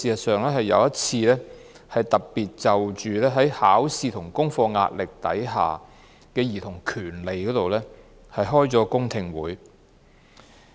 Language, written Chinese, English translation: Cantonese, 事實上，我們更特別就考試和功課壓力下的兒童權利舉行過一次公聽會。, In fact we have even held one public hearing specifically on the rights of children under pressure from examinations and homework